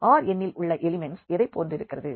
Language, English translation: Tamil, How the elements of this R n looks like